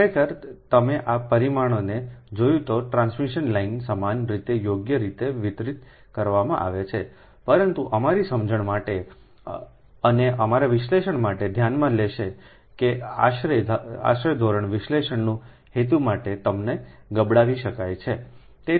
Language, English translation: Gujarati, actually, transmission line, you have seen, these parameters are uniformly distributed, right, but for our understanding and for our analysis will consider, they can be lumped for the purpose of analysis, an approximate basis